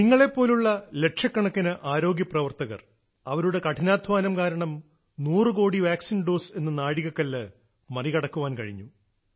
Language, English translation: Malayalam, It is on account of the hard work put in by lakhs of health workers like you that India could cross the hundred crore vaccine doses mark